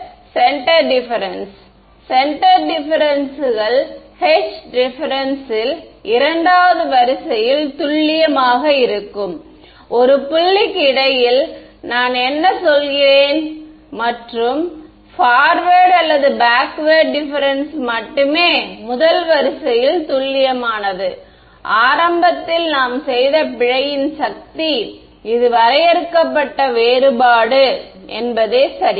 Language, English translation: Tamil, It is a centre difference; centre differences is accurate to second order in h the spacing between a point that is what I mean and forward difference or backward difference are only accurate to first order it is the power of the error we have done that it in the beginning in finite difference ok